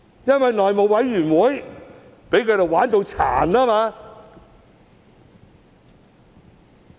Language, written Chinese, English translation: Cantonese, 因為內務委員會被他們"玩殘"。, The reason is that they have jerked the House Committee around